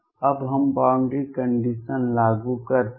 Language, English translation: Hindi, Now let us apply boundary conditions